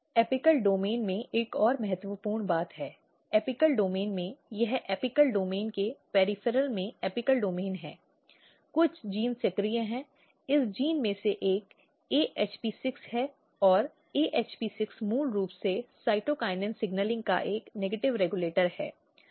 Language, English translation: Hindi, Another important thing in the apical domain so, in apical domains; this is apical domain in the peripheral of the apical domains, some of the genes are activated one of this gene is AHP6 and AHP6 basically is a negative regulator of cytokinin signaling